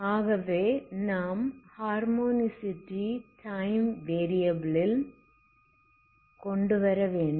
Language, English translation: Tamil, So you just bring in some harmonocity in the time variable